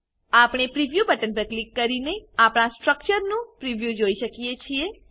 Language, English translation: Gujarati, We can see the preview of our structure by clicking on the Preview button